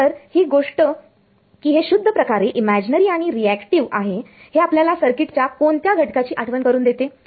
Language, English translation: Marathi, So, then this fact that it is purely imaginarily and reactive reminds us of which circuit element